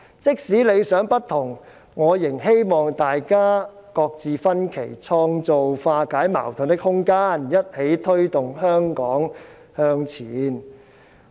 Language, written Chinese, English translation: Cantonese, 即使理想不同，我仍希望大家擱置分歧，創造化解矛盾的空間，一起推動香港向前。, Even if we are striving for different goals we can work together to put aside our differences make room for resolving conflicts and drive Hong Kong forward